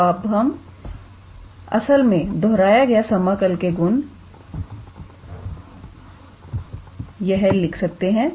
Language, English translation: Hindi, So, we can actually do that repeated integral property here